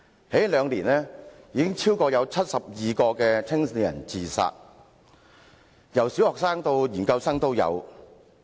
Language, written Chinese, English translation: Cantonese, 這兩年，已有超過72名年青人自殺，當中有小學生，也有研究生。, In the past two years more than 72 young people committed suicide . Some of them were primary school students and some were postgraduate students